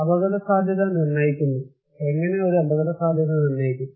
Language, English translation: Malayalam, So, determinant of risk; how we determine a risk